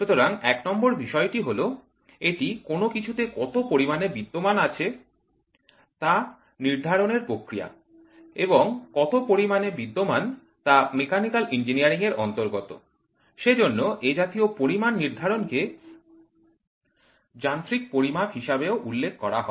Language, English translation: Bengali, So, it is a process of determination of anything that exists in some amount, point number 1 and that which exists is related to mechanical engineering, then the determination of such amounts are referred as mechanical measurement